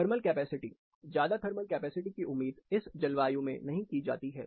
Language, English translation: Hindi, Thermal capacity, very high thermal capacity is not expected in this climate some international examples as well